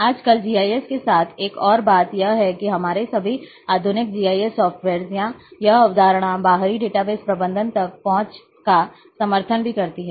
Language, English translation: Hindi, Another thing is a with the GIS nowadays, that all our modern GIS softwares or this concept also support access to the external database management